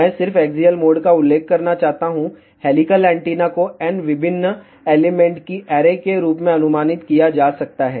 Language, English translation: Hindi, I just want to mention axial mode helical antenna can be approximated as array of n different elements